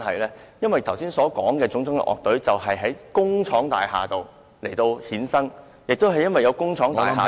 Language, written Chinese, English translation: Cantonese, 我剛才提及的樂隊都是在工廠大廈衍生的，亦因為有工廠大廈......, The bands mentioned by me just now all came into being in industrial buildings and it is because of the existence of industrial buildings that